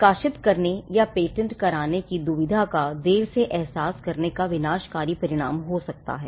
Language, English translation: Hindi, Late realization of this dilemma whether to publish or to patent could lead to disastrous consequences